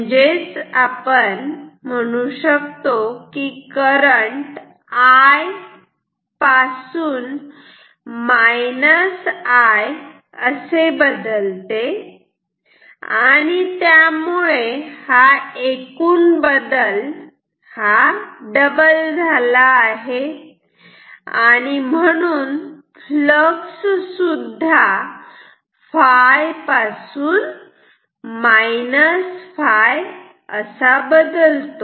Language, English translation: Marathi, So, the current changes from I to minus I; so, total change is double, so, flux will also change from phi to minus phi